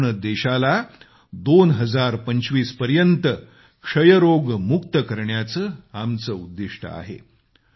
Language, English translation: Marathi, A target has been fixed to make the country TBfree by 2025